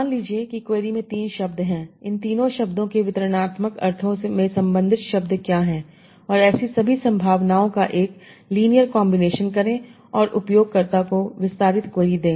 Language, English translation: Hindi, So suppose the query has three terms, find out what are the related terms to all these three terms in the distributional sense and make a linear combination of all such possibilities and give the expenditure query to the user